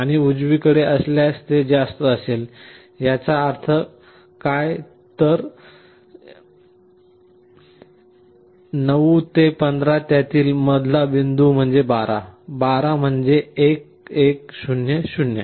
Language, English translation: Marathi, And on the right hand side if it is greater; that means, 9 to 15, middle point of it is 12, 12 is 1 1 0 0